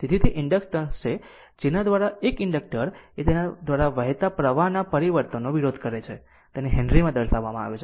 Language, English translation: Gujarati, So, that you inductance actually is the property whereby an inductor exhibits opposition to the change of current flowing through it measured in henrys right